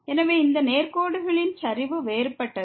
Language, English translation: Tamil, So, the slope of these straight lines are different